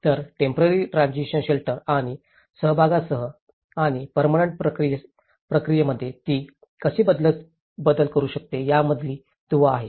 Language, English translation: Marathi, So, that is the link between the temporary transition shelter and with the participation and how it can actually make shift into the permanent process